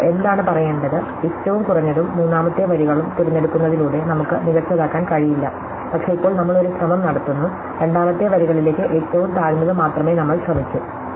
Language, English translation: Malayalam, Now, what is to say, that we could not do better by choosing the lowest then the third rows per, but we now a try, we only try to lowest to the second rows